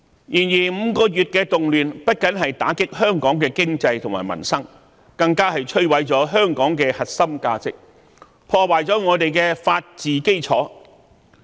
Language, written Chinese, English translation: Cantonese, 然而 ，5 個月的動亂不僅打擊香港的經濟和民生，更摧毀了香港的核心價值，破壞了我們的法治基礎。, However the turmoil over the past five months has not only dealt a blow to our economy and peoples livelihood but also destroyed the core values of Hong Kong and shaken the foundation of our rule of law